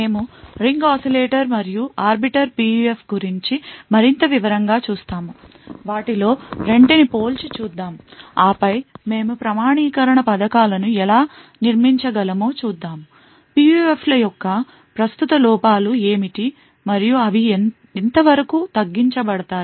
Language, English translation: Telugu, We will look more in detail about the Ring Oscillator and Arbiter PUF, we will compare the 2 of them and then we will actually see how we could build authentication schemes, what are the current drawbacks of PUFs and how potentially they can be mitigated